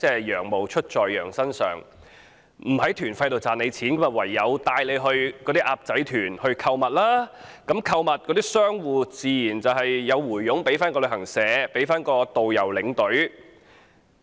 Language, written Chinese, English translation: Cantonese, "羊毛出自羊身上"，不在團費賺錢，唯有帶"鴨仔團"購物，商戶自然有佣金回贈旅行社、導遊、領隊。, Sheeps wool comes off the sheeps back . When money could not be made through tour fees the only way to make money was to arrange shopping tours and business operators would naturally rebate commissions to travel agencies tourist guides and tour escorts